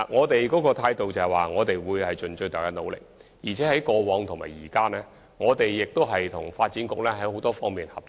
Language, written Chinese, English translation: Cantonese, 當局的態度是，會盡最大努力，而且無論過往或現在，我們均與發展局有多方面的合作。, The attitude of the Administration is that we will try our best and in this connection the Transport and Housing Bureau has always been in cooperation with the Development Bureau on many fronts